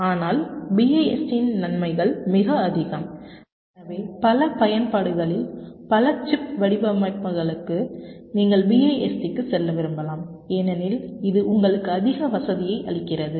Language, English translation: Tamil, but the advantages of bist are also quite high, so that in many applications, many chip designs, you may prefer to go for bist because it gives you much higher convenience, reduction in test cost